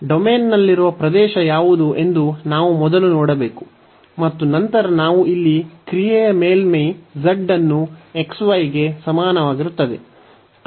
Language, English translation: Kannada, So, we have to first see what is the region here in the domain, and then we have the function surface here z is equal to x y